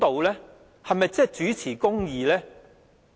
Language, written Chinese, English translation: Cantonese, 是否真正秉持公義？, Is this really upholding justice?